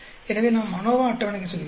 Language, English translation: Tamil, So, we go to ANOVA table